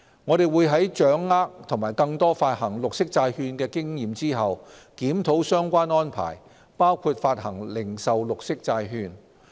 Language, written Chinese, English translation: Cantonese, 我們會在掌握更多發行綠色債券的經驗後，檢討相關安排包括發行零售綠色債券。, We will review the arrangement when we have gained more experience on green bond issuance and consider issuance of retail government green bond